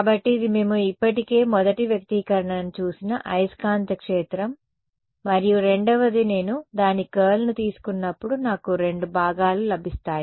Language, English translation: Telugu, So, this is the magnetic field which we already saw first expression and the second is obtained a sort of when I take the curl of this I get two components